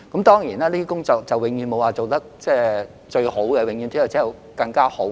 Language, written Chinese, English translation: Cantonese, 當然，就這些工作而言，永遠沒有最好，只有更好。, Of course in this regard we expect not the best but better